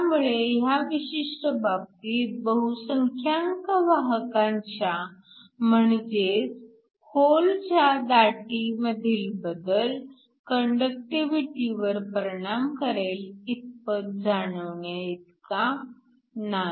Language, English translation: Marathi, So, that in this particular case, the change in concentration of the majority carriers which are holes is not significant enough to affect the conductivity